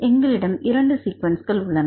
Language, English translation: Tamil, So, we have the 2 sequences